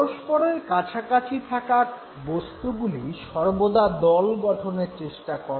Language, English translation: Bengali, So objects which are nearer to each other they always tend to form a group